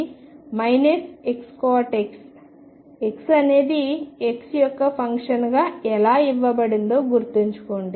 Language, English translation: Telugu, And remember how y is given as a function of x